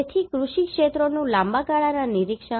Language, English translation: Gujarati, So long term observation of agriculture areas